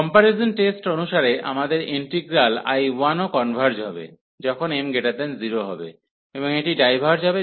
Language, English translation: Bengali, So, as per the comparison test our integral I 1 will also converge, when m is greater than 0; and it will diverge, when m is less than or equal to 0